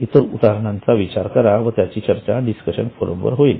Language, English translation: Marathi, Think of the examples and they will be discussed on the discussion forum